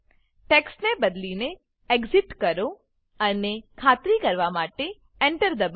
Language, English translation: Gujarati, Change the text to Open and press Enter to confirm